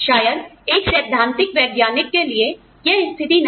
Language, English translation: Hindi, May be, for a theoretical scientist, that may not be the case